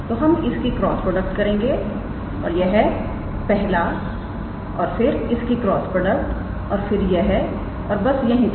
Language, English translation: Hindi, So, we do the cross product of this and this first and then cross product of this and this and all that